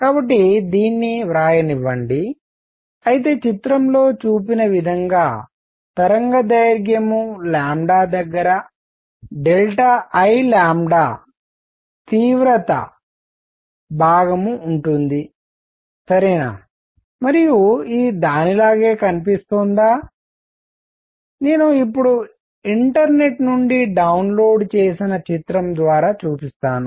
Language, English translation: Telugu, So, let me write this, so where delta I lambda is the intensity portion near the wavelength lambda as I shown in picture, alright, and how does it look it looks like, I will now show through a picture downloaded from the internet